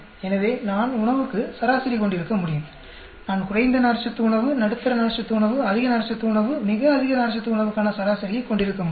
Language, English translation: Tamil, So, I can have average for food; I can have an average low fiber food, medium fiber food, high fiber food, very high fiber food